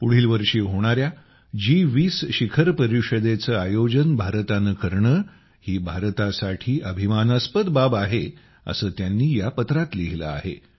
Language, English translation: Marathi, In this he has written that it is a matter of great pride for India to host the G20 summit next year